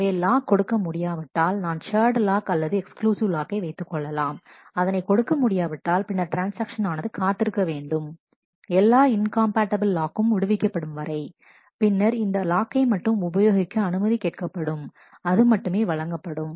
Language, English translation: Tamil, So, if a lock cannot be granted that if I want a lock either a shared lock, or an exclusive lock and if it cannot be granted, then the transaction has to wait till the all incompatible locks have been released and, only then this lock can be requested lock in being granted